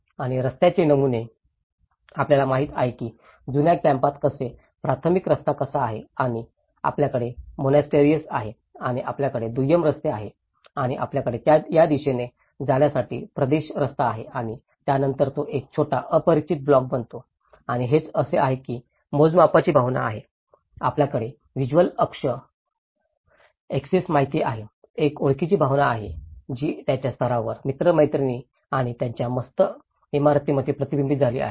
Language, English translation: Marathi, And the street patterns, you know, how in the old camp, how the primary road and you have the monastery and you have the secondary roads and you have the territory roads on to this direction and then within that it becomes a small neighborhood block and that is how there is a sense of scale, there is a sense of you know visual axis, there is a sense of identity which has been reflected in their street patterns, the friends the street friends and their monastral buildings